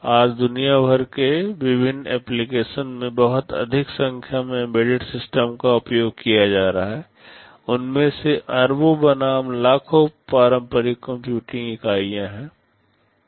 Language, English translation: Hindi, Today a very large number of embedded systems are being used all over the world in various applications, billions of them versus millions of conventional computing units